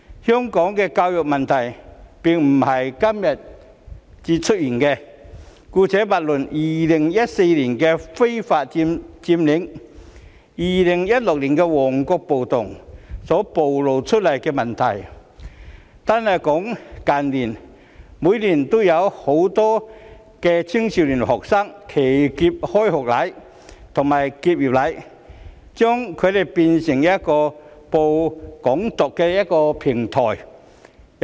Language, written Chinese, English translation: Cantonese, 香港的教育問題並非今時今日才出現，姑勿論2014年的非法佔領行動及2016年的旺角暴動所暴露出來的問題，單是近年，每年都有很多年輕學生"騎劫"開學禮及結業禮，將之變成散播"港獨"信息的平台。, The problems with education in Hong Kong are not something that has just emerged today . Leaving aside the problems revealed in the illegal Occupy Movement in 2014 and the Mong Kok riot in 2016 in recent years alone many young students hijacked inauguration ceremonies and graduation ceremonies and turned them into a platform for dissemination of the message of Hong Kong independence every year